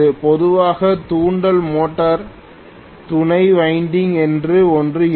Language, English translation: Tamil, Normally induction motor will have something called auxiliary winding